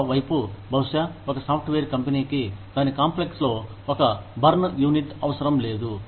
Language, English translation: Telugu, On the other hand, maybe, a software company is not required to have a, burns unit in its complex